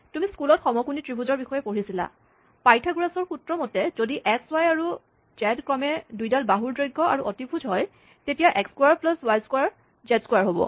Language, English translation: Assamese, So, you might have studied in school, from right hand, right angled triangles that, by Pythagoras’ theorem, you know that, if x, y and z are the lengths of the two sides and the hypotenuse respectively, then, x square plus y square will be z square